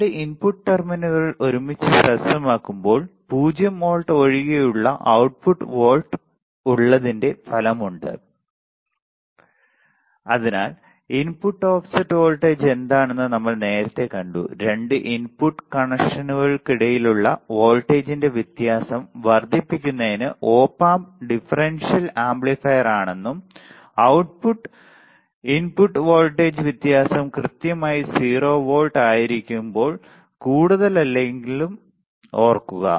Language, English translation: Malayalam, So, we have seen what is a input offset voltage earlier also let us see remember that Op Amp are differential amplifier as supposed to amplify the difference in voltage between the 2 input connections and nothing more when the output input voltage difference is exactly 0 volts we would ideally except output to be 0 right